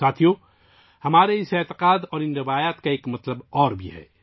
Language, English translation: Urdu, Friends, there is yet another facet to this faith and these traditions of ours